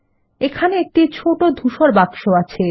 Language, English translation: Bengali, Here, notice the small gray box